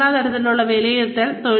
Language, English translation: Malayalam, Assessment at the organizational level